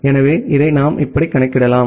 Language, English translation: Tamil, So, we can compute it like this way